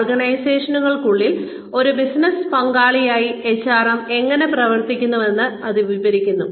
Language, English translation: Malayalam, That describes, how HRM operates as a business partner within organizations